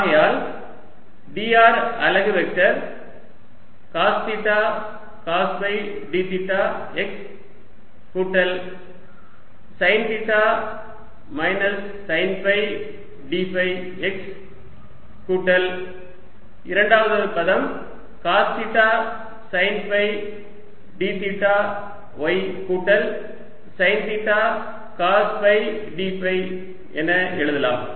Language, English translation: Tamil, therefore d r unit vector i can write as cos theta, cos phi d theta x plus sine theta, minus sine phi d phi x, plus the second term, cos theta sine phi d theta y plus sine theta, cos phi d phi y sorry, this is ah y plus this change, which is minus sine theta z